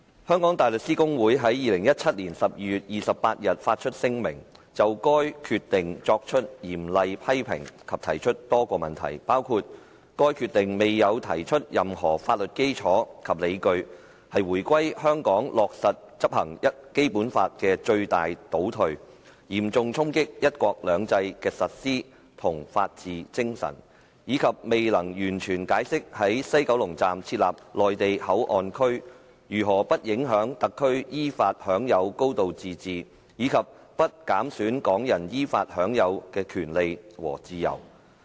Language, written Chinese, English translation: Cantonese, 香港大律師公會在2017年12月28日發出聲明，就該決定作出嚴厲批評及提出多個問題，包括該決定未有提出任何法律基礎及理據，是回歸後香港落實執行《基本法》的最大倒退，嚴重衝擊"一國兩制"的實施和法治精神，以及未能完全解釋在西九龍站設立內地口岸區如何不影響特區依法享有高度自治及不減損港人依法享有的權利和自由。, On 28 December 2017 the Hong Kong Bar Association HKBA issued a statement to express strong criticisms of the Decision and raised a number of questions . These include comments that the Decision fails to provide any legal basis and justifications that it is the most retrograde step to date in the implementation of the Basic Law since the reunification and that it severely undermines the implementation of one country two systems and the spirit of the rule of law . Moreover the Decision fails to give a comprehensive explanation on how and why the establishment of the Mainland Port Area in the Port at West Kowloon Station does not affect the high degree of autonomy of the Special Administrative Region SAR enjoyed according to law and does not limit the rights and freedoms the Hong Kong residents enjoyed according to law